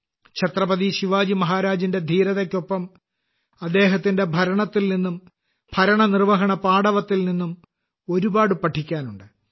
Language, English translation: Malayalam, Along with the bravery of Chhatrapati Shivaji Maharaj, there is a lot to learn from his governance and management skills